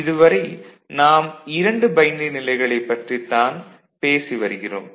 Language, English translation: Tamil, Now, so far we are talking about the 2 states binary states ok